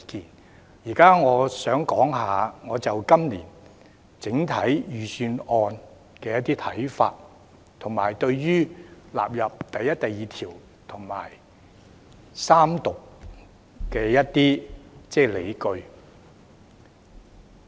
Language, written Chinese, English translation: Cantonese, 我現在想談我就今年整體預算案的一些看法，以及對於納入第1及2條和三讀的一些理據。, Now I would like to share some of my views on this years Budget as a whole as well as some rationales for the inclusion of clauses 1 and 2 and the Third Reading